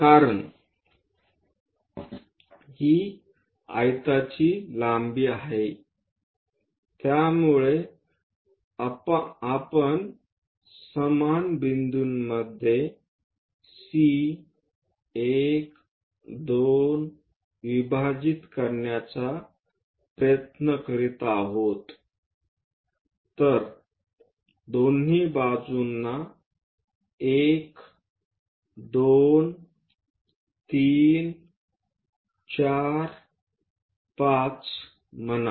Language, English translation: Marathi, Because, it is a rectangle length what we are trying to do divide into equal number of points so, C 1 2 let us say 1 2 3 4 5 on both sides